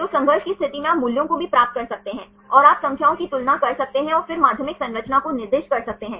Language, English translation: Hindi, So, in the conflict situation you can also get the values, and you can compare the numbers and then assign the secondary structure